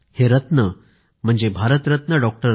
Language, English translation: Marathi, He was Bharat Ratna Dr